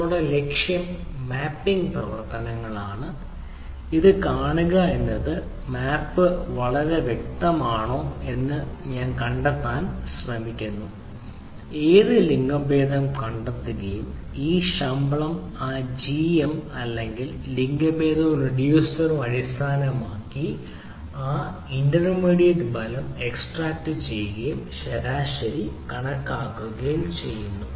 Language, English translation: Malayalam, we like ah, find out this individually, this, whether it is a, which gender, m, and find, keep this salaries along with that g, m or f, and salary and the reducer, ah, we will basically so that it exactly that gender and salary and the reducer will basically ah, extract that intermediate result and calculate the average and the total